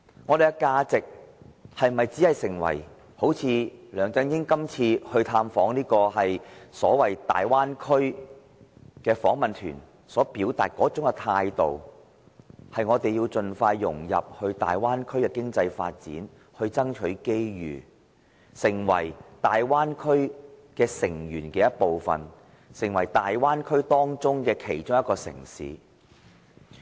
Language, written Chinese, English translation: Cantonese, 我們是否要採取梁振英這次探訪大灣區的訪問團所表達的態度，便是要盡快融入大灣區的經濟發展，爭取機遇，成為大灣區成員的一部分，成為大灣區其中一個城市呢？, In his visit to the Guangdong - Hong Kong - Macao Bay Area the delegation led by LEUNG Chun - ying expressed that Hong Kong should integrate into the bay area in economic development expeditiously striving for opportunities to become a member and a city of the bay area . Should we adopt this attitude?